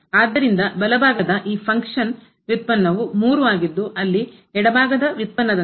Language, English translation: Kannada, So, the right side derivative of this function is 3 where as the left hand derivative